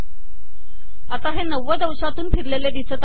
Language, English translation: Marathi, So this has been rotated by 90 degrees